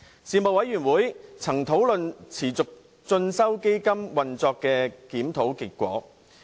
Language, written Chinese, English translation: Cantonese, 事務委員會曾討論持續進修基金運作的檢討結果。, The Panel discussed the review findings on the operation of the Continuing Education Fund